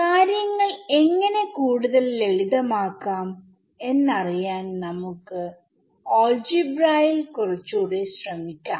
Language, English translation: Malayalam, So, now, let us try a little bit more of algebra to see how we can simplify things further